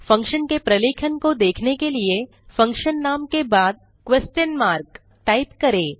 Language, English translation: Hindi, To see the documentation of functions using question mark